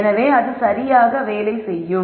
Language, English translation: Tamil, So that also works out properly